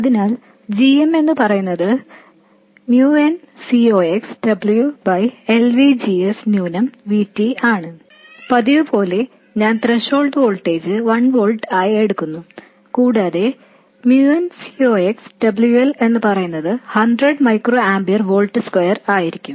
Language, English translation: Malayalam, So, GM is M un Ciox W by L, VGS minus VT, and as usual, I will consider the threshold voltage to be 1 volt and MNCox W by L to be 100 microamper per volt square